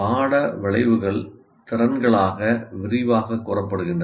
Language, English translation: Tamil, Course outcomes are elaborated into competencies